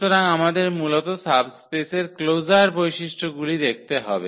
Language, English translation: Bengali, So, we have to see basically those closer properties of the subspace